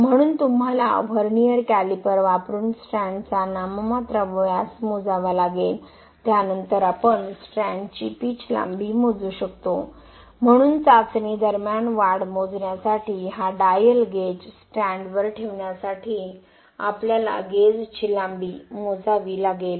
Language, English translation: Marathi, So you have to measure the nominal diameter of the strand using vernier calliper, then we can measure the pitch length of the strand, so we need to measure the gauge length for placing this dial gauge on the strand to measure the elongation during the testing